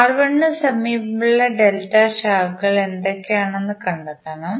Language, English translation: Malayalam, You have to simply see what are the delta branches adjacent to R1